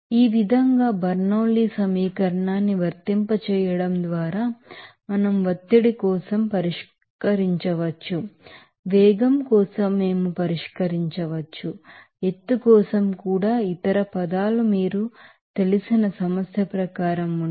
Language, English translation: Telugu, So, in this way, by applying the Bernoulli’s equation we can solve of for pressure we can solve for velocity we can solve for even elevation height also provided other terms are they are as per your you know problem